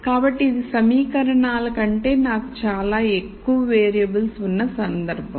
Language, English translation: Telugu, So, this is a case where I have a lot more variables than equations